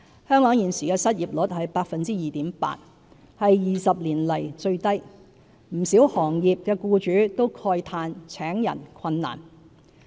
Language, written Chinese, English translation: Cantonese, 香港現時的失業率是 2.8%， 是20多年來最低，不少行業的僱主都慨嘆請人困難。, As the current 2.8 % unemployment rate in Hong Kong is the lowest in more than 20 years employers of many sectors have expressed difficulties in staff recruitment